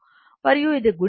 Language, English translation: Telugu, And this is multiplied by this 13